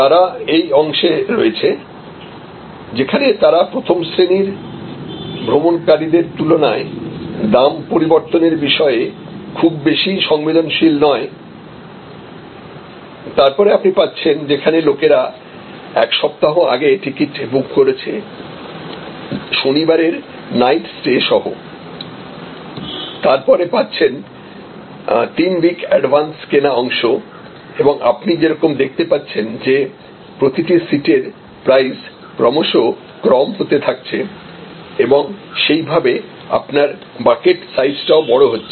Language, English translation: Bengali, Again they are in this part, where they are not very sensitive to price change little bit more than the first class travelers, then accordingly you can actually have a one week advance purchase with some Saturday night stay over 3 week advance purchase as you see prices as coming down your coming down on the price per seat and accordingly your bucket size is also expanding